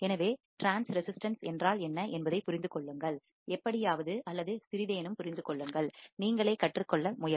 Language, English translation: Tamil, So, understand what is transresistance, understand something, try to learn by yourself as well